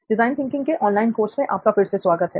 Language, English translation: Hindi, Hello and welcome back to design thinking, the online course